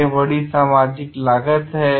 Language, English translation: Hindi, Then there is a great social cost to it